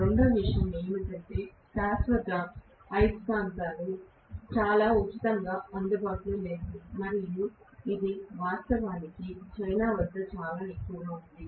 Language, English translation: Telugu, And second thing is permanent magnets are not very freely available and it is actually horded by China